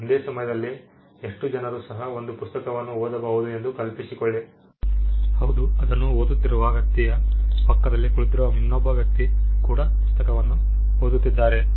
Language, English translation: Kannada, Imagine a bestselling book how many people can read that book at 1 time; yes the person whose reading it the another person who is sitting next to the person who is also reading it yes